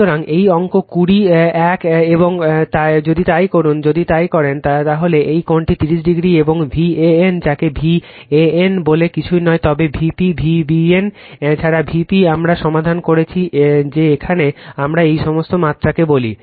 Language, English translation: Bengali, So, this is figure 20 one and if you do so, if you do so, this angle is 30 degree right and your V an, your what you call V an is nothing, but your V p V bn also V p we solved that here what we call all these magnitude